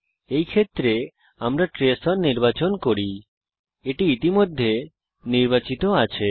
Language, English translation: Bengali, In this case let us select the trace on, its already on